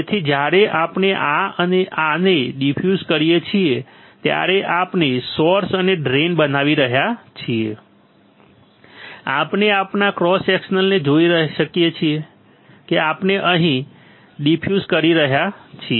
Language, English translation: Gujarati, So, that when we diffuse this and this, we are creating source and drain, we can see our cross section see we are diffusing here